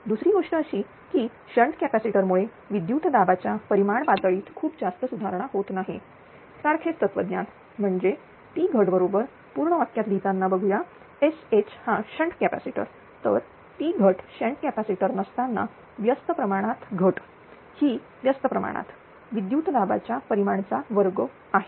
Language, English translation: Marathi, Another thing is that shnt capacitor do not merge it improves the voltage magnitude level therefore, same philosophy that is Ploss right with writing full form with let us s h is shnt shnt capacitor then Ploss that without shnt capacitor is inversely proportional loss is inversely proportional to the square of the voltage magnitude